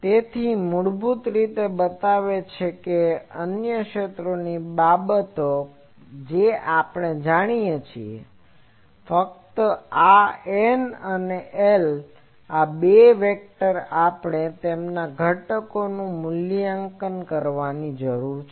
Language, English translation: Gujarati, So, basically it shows that other field things we know, only this N and L these two vectors we need to evaluate their components